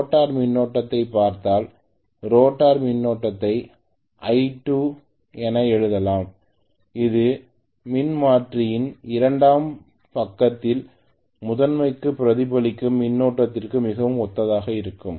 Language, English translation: Tamil, If I look at the rotor current, rotor current I may write it as I2 dash which is very similar to the current that is reflected from the secondary side of the transformer to the primary the same way here from the rotor side it is going to get reflected to the stator side